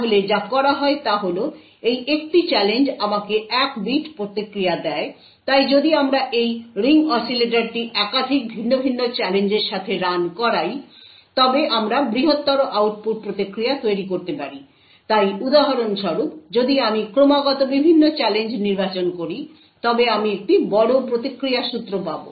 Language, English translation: Bengali, So what is done is that this one challenge gives me one bit of response, so if we actually run this ring oscillator with multiple different challenges we could build larger output response so for example, if I continuously choose different challenges I would get a larger string of responses, each response is independent of the other